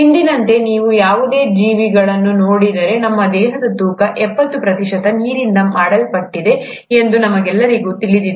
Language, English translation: Kannada, If you were to look at any living organism as of today, we all know that our, seventy percent of our body weight is made up of water